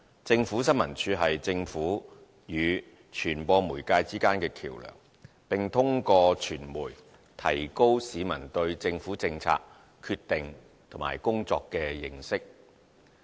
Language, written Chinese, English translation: Cantonese, 政府新聞處是政府與傳播媒介之間的橋樑，並通過傳媒提高市民對政府政策決定和工作的認識。, ISD provides the link between the Government and the media and through the latter enhances public understanding of government policies decisions and activities